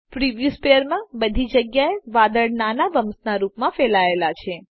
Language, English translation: Gujarati, All over the preview sphere the clouds are spread as small bumps